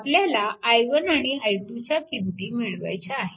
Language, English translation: Marathi, And you have to solve for i 1 and i 2